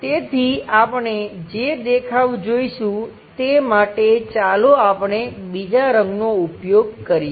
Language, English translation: Gujarati, So, the view what we will see is let us use some other color